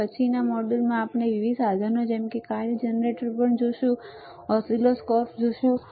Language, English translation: Gujarati, And then in following modules we will also see different equipment such as function generator, you will see oscilloscope, right